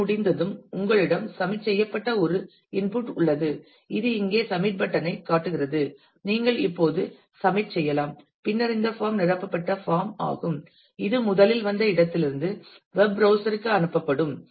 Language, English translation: Tamil, And once this has been done then you have an input which is submit, which is the submit button here which shows that you can now submit and then this form filled up form will be sent back to the web browser from where it originally came